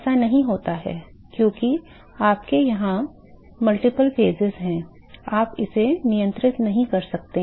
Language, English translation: Hindi, That does not happen because you have multiple phases here, you cannot control that